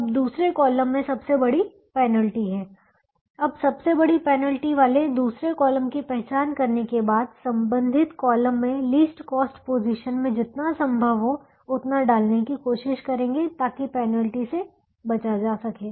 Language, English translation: Hindi, now, having identified the second column with the largest penalty, try to put as much as you can in the least cost position in corresponding column so that the penalty can be avoided